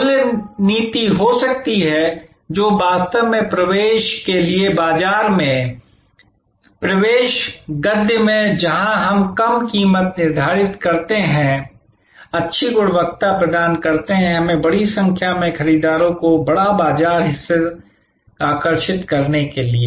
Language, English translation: Hindi, There can be price policy, which is for market penetration, in market penetration prose where we sort of set a low price, deliver good quality; we have to one to attract a large number of buyers, a large market share